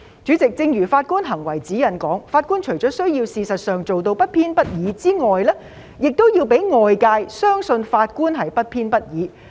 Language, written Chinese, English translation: Cantonese, 主席，正如《法官行為指引》所述，法官除了需要事實上做到不偏不倚之外，還要讓外界相信法官是不偏不倚的。, President as stated in the Guide to Judicial Conduct impartiality must exist both as a matter of fact and as a matter of reasonable perception